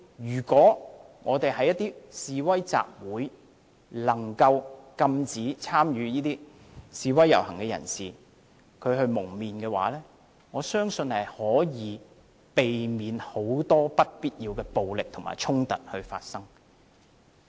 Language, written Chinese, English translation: Cantonese, 如果我們能禁止一些參與示威、集會、遊行的人蒙面，相信可以避免很多不必要的暴力和衝突發生。, If we can forbid participants of protests assemblies and rallies from wearing masks I believe a lot of unnecessary violence and conflicts can be avoided